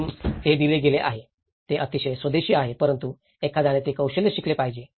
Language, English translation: Marathi, So that has given, which is very indigenous but one has to learn that skill